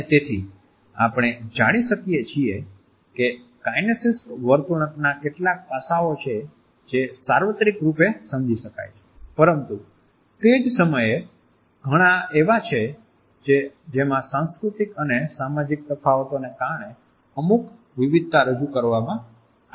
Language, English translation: Gujarati, And therefore, we find that there are certain aspects of kinesic behavior which are universally understood, but at the same time there are many in which certain variations are introduced because of cultural and social differences